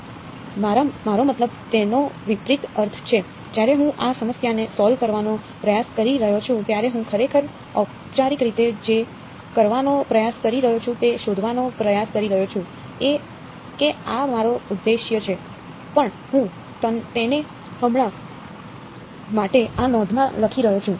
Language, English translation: Gujarati, Yeah, I mean its opposite means when I am trying to solve this problem what I am actually formally trying to do is I am trying to find out this is my objective right, but I can I am writing it in this notation for now ok